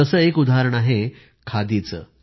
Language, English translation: Marathi, One such example is Khadi